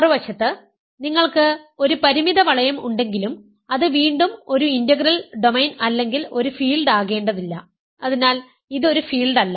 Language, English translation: Malayalam, On the other hand, if you have a finite ring, but it is not an integral domain again it need not be a field, so this is not a field